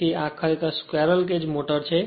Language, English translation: Gujarati, So, this is actually squirrel cage motor